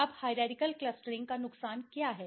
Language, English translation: Hindi, Now, what is the disadvantage of hierarchical clustering